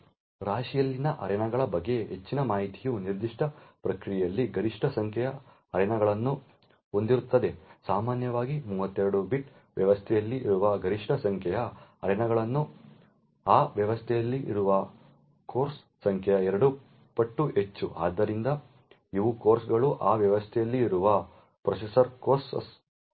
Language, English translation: Kannada, there is a maximum number of arenas that can be present in a particular process typically in a 32 bit system the maximum number of arenas present is 2 times the number of cores present in that system, so these cores are the processor cores present in that system